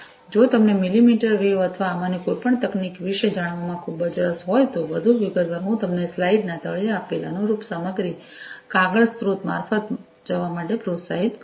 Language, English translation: Gujarati, So, you know, in case you are very much interested to know about millimetre wave or any of these technologies, in much more detail, I would encourage you to go through the corresponding material, the paper, the source, that is given at the bottom of the slide